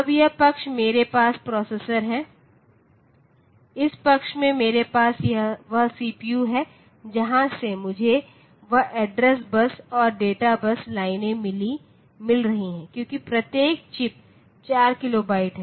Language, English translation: Hindi, Now, this side I have the processor, this side I have that CPU from where I have got that address bus and data bus lines going out, so since each chip is 4 kilobytes